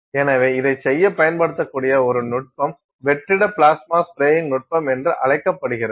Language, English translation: Tamil, So, one of the techniques that can be used to do this is called a vacuum plasma spray technique